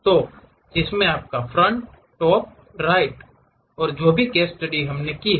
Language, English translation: Hindi, So, which contains your front, top, right and whatever the case study we have done